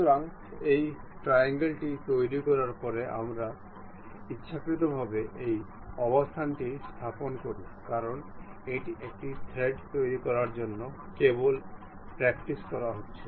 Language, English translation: Bengali, So, after constructing this triangle we arbitrarily place this position because it is just a practice to construct a thread